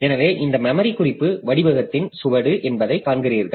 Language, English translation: Tamil, So, you see that if this is a plot or this is a trace of this memory reference pattern